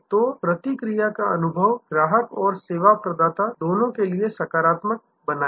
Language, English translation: Hindi, So, make the feedback experience, positive for both the customer as well as for the service provider